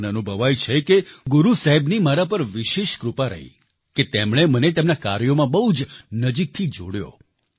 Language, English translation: Gujarati, I feel that I have been specially blessed by Guru Sahib that he has associated me very closely with his work